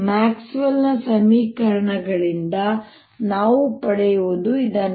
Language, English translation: Kannada, this is what we get from the maxwell's equations